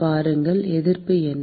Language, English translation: Tamil, See, what is the resistance